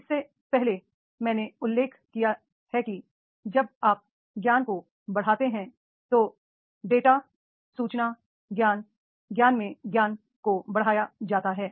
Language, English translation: Hindi, Earlier I have mentioned that is when you enhance the knowledge, then the data, data information, knowledge, knowledge into wisdom